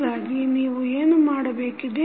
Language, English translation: Kannada, So, what you need to do